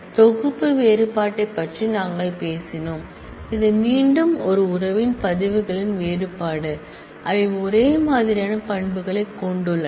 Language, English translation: Tamil, We talked about set difference which again is the difference of records of one relation from another, given that they have identical set of attributes